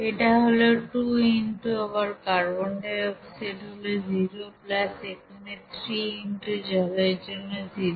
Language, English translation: Bengali, This is 2 into then carbon dioxide here again zero plus here 3 into for water it is zero